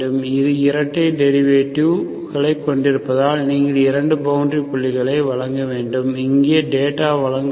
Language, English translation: Tamil, Because it has 2 derivatives, you have to provide 2, you have obviously 2 boundary points, so you should provide the data here